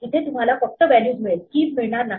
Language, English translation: Marathi, Here you just get the values you do not get the keys